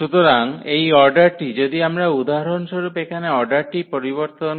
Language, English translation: Bengali, So, this order if we change for instance the order here